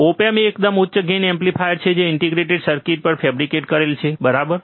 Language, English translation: Gujarati, Op amp is a very high gain amplifier fabricated on integrated circuit, right